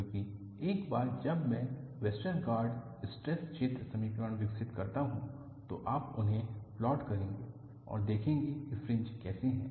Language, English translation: Hindi, Because once I develop Westergaard stress field equation, you would plot them and see how the fringes are